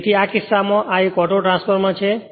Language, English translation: Gujarati, In that case, we call this as a Autotransformer